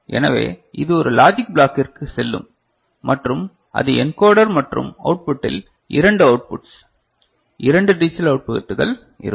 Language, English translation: Tamil, So, this will go to a logic block right and that is the encoder and at the output there will be 2 outputs 2 digital outputs